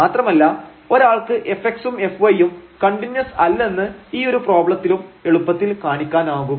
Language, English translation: Malayalam, And one can easily show that f x and f y are not continuous for this problem as well